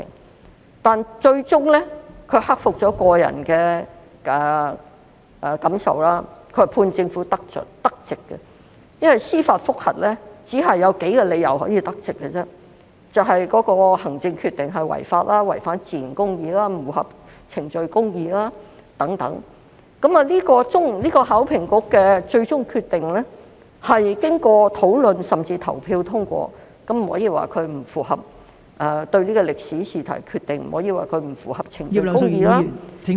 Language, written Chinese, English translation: Cantonese, 可是，最終他克服了個人感受，判政府得直，因為司法覆核只有數個理由可以得直，就是當行政決定違法、違反自然公義及不符合程序公義等，而考評局的最終決定是經過討論甚至投票通過，因此不可以說對歷史試題的決定不符合程序公義......, However he overcame his personal feelings in the end and ruled in favour of the Government . The reason is that there are only a few grounds for a judicial review to be successful the administrative decision is unlawful violates natural justice and fails to meet procedural justice . Yet the final decision of the Hong Kong Examinations and Assessment Authority has been discussed and even voted upon so we cannot say that the decision on the history exam question has failed to meet procedural justice